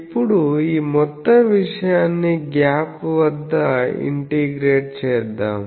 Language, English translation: Telugu, Now, let us integrate this whole thing over the gap